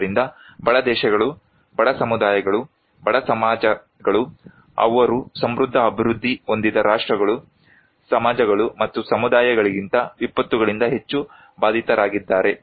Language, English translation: Kannada, So, poorer the countries, poorer the communities, poorer the societies, they are more affected by disasters than the prosperous developed nations and societies and communities